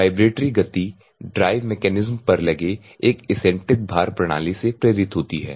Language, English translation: Hindi, Vibratory motion is induced by an eccentric weight system mounted on the drive mechanism